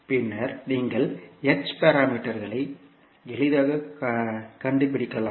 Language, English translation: Tamil, And then you can easily find out the h parameters